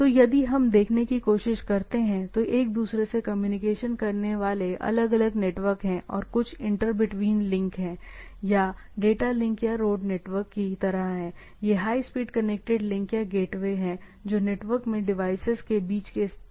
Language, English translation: Hindi, So, sorry, so if we try to see, so, there are different networks communicating to each other and there are some inter between links, right or what we say data links or this like the road networks, these are high speed connected links or gateway or data paths between the things